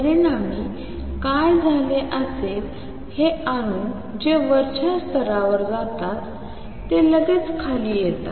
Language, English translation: Marathi, As a result what would happened these atoms that go to the upper level immediately come down here